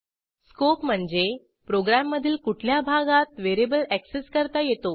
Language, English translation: Marathi, Scope defines where in a program a variable is accessible